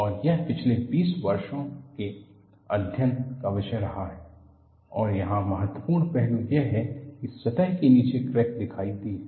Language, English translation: Hindi, And this has been the topic of study for the last 20 years, and the important aspect here is, crack has appeared below the surface